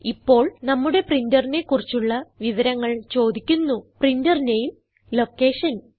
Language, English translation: Malayalam, Now, we are prompted to describe our printer printer name and its location